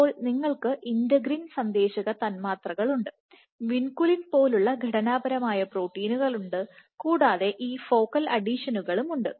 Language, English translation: Malayalam, So, you have integrated, you have integrin signaling molecules, you have structural proteins like vinculin and you have in these focal adhesions